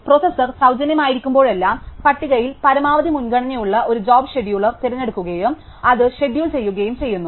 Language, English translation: Malayalam, Whenever the processor is free, the scheduler picks out a job with a maximum priority in the list and schedules it